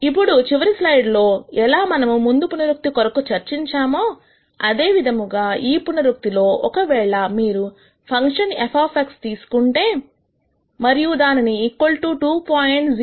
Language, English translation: Telugu, Now, again much like how we discussed the previous iteration in the last slide, in this iteration if you were to take the function f of X and then set it equal to minus 2